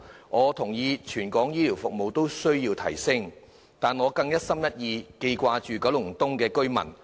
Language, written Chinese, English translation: Cantonese, 我認同全港的醫療服務均需要改善，但我更一心一意記掛着九龍東居民。, I agree that the healthcare services in Hong Kong as a whole require enhancement yet my heart is tied to residents in Kowloon East